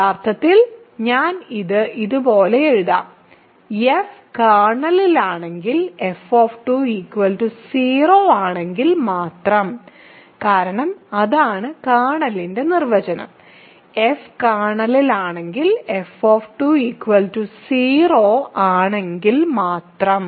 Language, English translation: Malayalam, So, actually I will write it like this, f is in the kernel if and only if f of 2 is 0, because that is the definition of the kernel, f is in the kernel if and only if f of 2 is 0